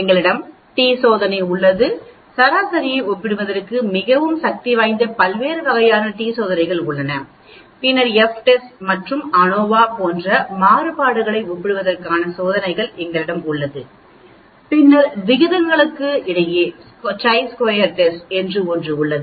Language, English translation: Tamil, We have the t test, different types of t tests which are very powerful for comparing mean, then we have the test for comparing variances like F test and ANOVA and then for ratios we have something called chi squared test which we will talk about later